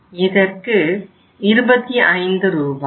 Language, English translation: Tamil, In this case it is 25 Rs